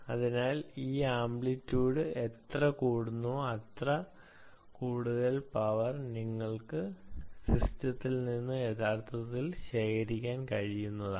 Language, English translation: Malayalam, so this amplitude, higher than amplitude more, is the power that you can actually draw from the system